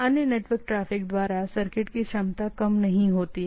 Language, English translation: Hindi, Circuit capacity not reduced by other network traffic